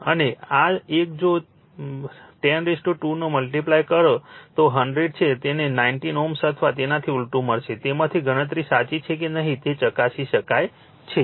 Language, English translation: Gujarati, And this one if you multiply by 10 square that is 100 you will get 19 ohm or vice versa, right from that you can check whether calculation is correct or not, right